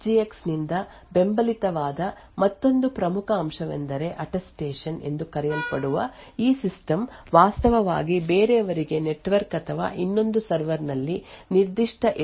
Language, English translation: Kannada, Another very important aspect which is supported by Intel SGX is something known as Attestation where this system can actually prove to somebody else may be over the network or another server that it actually has a particular SGX